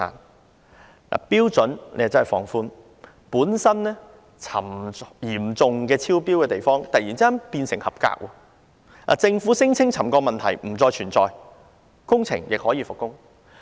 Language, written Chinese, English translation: Cantonese, 它放寬了標準，令本來嚴重超標的地方突然變為合格，政府聲稱沉降問題不再存在，工程亦可以復工。, It relaxed the levels thus making locations that were originally seriously non - compliant suddenly compliant again . The Government claimed that the problem of settlement no longer existed and the works could resume